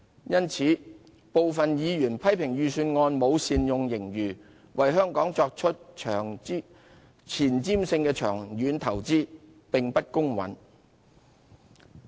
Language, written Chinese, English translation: Cantonese, 因此，部分委員批評預算案沒有善用盈餘，為香港作出前瞻性的長遠投資，此說法有欠公允。, It is thus unfair for some Members to criticize the Budget for failing to make good use of the surplus to make forward - looking long - term investments for Hong Kong